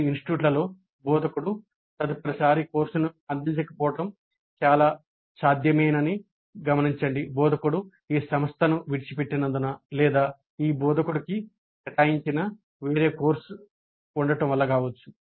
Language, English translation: Telugu, Now notice that in some of the institutes it is quite possible that the instructor may not be offering the course next time either because the instructor leaves this institute or there is a different course which is assigned to this instructor